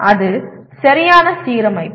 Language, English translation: Tamil, That is perfect alignment